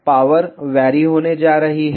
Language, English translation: Hindi, The power is going to be varied